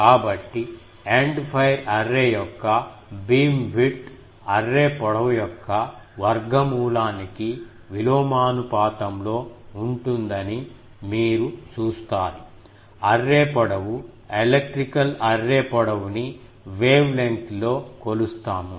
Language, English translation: Telugu, So, you see that beamwidth of an End fire array is inversely proportional to the square root of the array length, array length, electrical array length or array length measured in wavelength